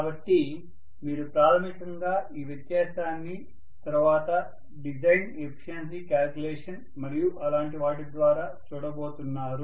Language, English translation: Telugu, So you are basically going to look at this difference in terms of later on the design efficiency calculations and things like that, right